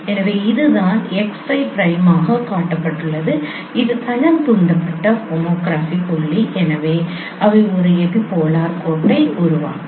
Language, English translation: Tamil, So that is what is shown x5 prime and this is the plane induced tomography point so they will form an epipolar line